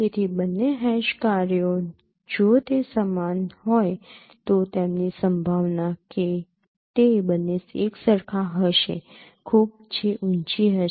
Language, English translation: Gujarati, So the both the hash functions if they are same so their probability that both of them would be same would be very high if the distances between them is also small